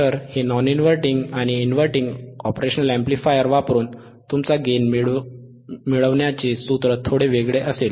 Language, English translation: Marathi, So, by using this non inverting and inverting impressionoperational amplifier, your formula for gain would be slightly different